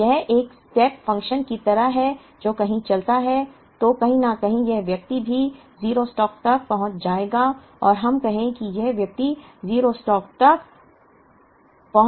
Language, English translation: Hindi, Now, this is more like a step function it goes on, then somewhere this person also would reach 0 stock or let us say the person reaches 0 stock here